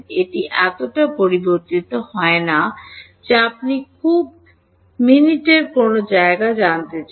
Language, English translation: Bengali, It does not vary so much that you want to know at some very minute location